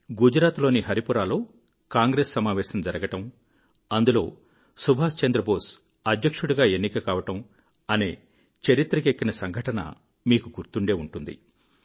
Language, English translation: Telugu, You may remember that in the Haripura Congress Session in Gujarat, Subhash Chandra Bose being elected as President is recorded in history